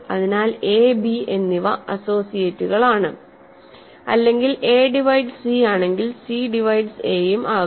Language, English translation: Malayalam, So, a and b are associates or if a divides c, c also divides a